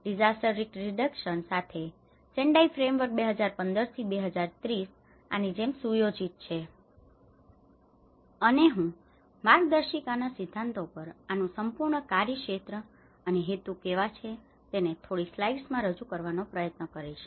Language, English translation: Gujarati, And follow up on the Hyogo Framework for Action, Sendai Framework for disaster risk reduction sets up like this 2015 to 2030, and I will try to present into few slides on how this whole scope and purpose to the guiding principles